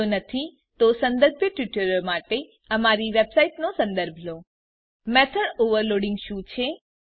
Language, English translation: Gujarati, If not, for relevant tutorials please visit our website which is as shown, (http://www.spoken tutorial.org) What is method overloading